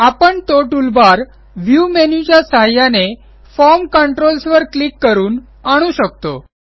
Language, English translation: Marathi, We can bring it up by using the View menu and clicking on the Form Controls